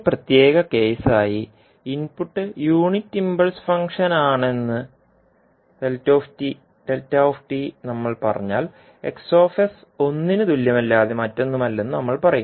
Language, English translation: Malayalam, As a special case if we say that xd that is the input is unit impulse function, we will say that access is nothing but equal to one